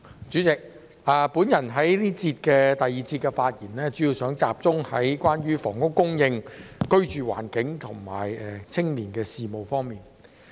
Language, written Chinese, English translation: Cantonese, 主席，我在第二節的發言主要集中在房屋供應、居住環境和青年事務方面。, President in the second session I will mainly focus on housing supply living environment and youth matters